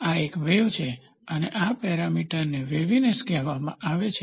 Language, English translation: Gujarati, This is a wave and this parameter is called as waviness